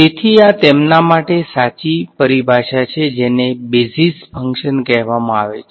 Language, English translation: Gujarati, So, these are the correct terminology for them these are called basis functions